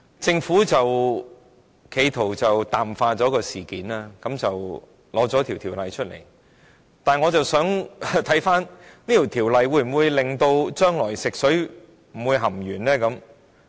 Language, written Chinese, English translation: Cantonese, 政府企圖淡化事件，因而提交《條例草案》，但《條例草案》能否防止將來再出現食水含鉛的情況？, The Government however has attempted to play down the incidents by introducing the Bill . Can this Bill prevent drinking water from containing lead again?